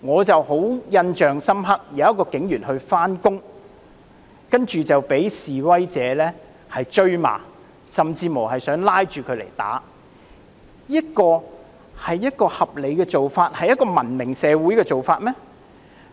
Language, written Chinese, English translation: Cantonese, 令我印象很深刻的是有一位警員上班，但卻被示威者追罵，甚至想拉着他來打，這是合理的做法、一個文明社會的做法嗎？, I was particularly struck by the scene of a police officer on his way to work being hounded by protesters who lashed out at him and even attempted to grab him and beat him up . Was that rational or something that should happen in a civilized society?